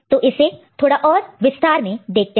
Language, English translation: Hindi, So, we elaborate it little bit more